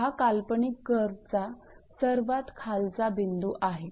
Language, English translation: Marathi, There is a lowest point of the imaginary curve